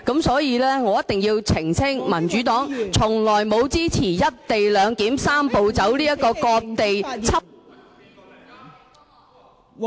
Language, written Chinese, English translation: Cantonese, 所以，我一定要澄清，民主黨從來沒有支持"一地兩檢""三步走"這個"割地"方案。, The Democratic Party has never supported the Three - step Process to implement the co - location arrangement and I ask Dr CHIANG to withdraw her remark